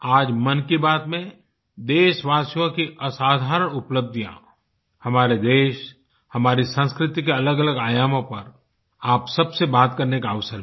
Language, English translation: Hindi, In today's Mann Ki Baat, I have had the opportunity to bring forth extraordinary stories of my countrymen, the country and the facets of our traditions